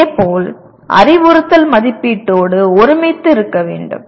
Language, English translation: Tamil, Similarly, instruction should be in alignment with the assessment